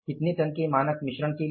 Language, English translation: Hindi, For a standard mix of, how many tons